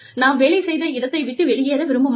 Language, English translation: Tamil, We do not want to leave the place of work